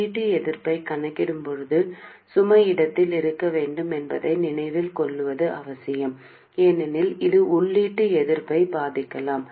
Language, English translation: Tamil, It is important to remember that while calculating the input resistance, the load must be in place because this can affect the input resistance